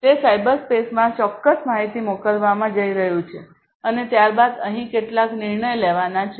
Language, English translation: Gujarati, It is going to send certain information to the cyberspace and then some decision is going to be made over here some decision is going to be made